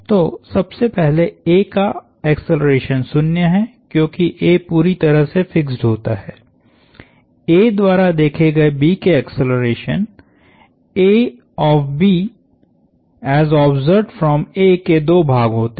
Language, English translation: Hindi, So, the acceleration of A first of all is 0, because A happens to be completely fixed, the acceleration of B as observed by A has two parts to it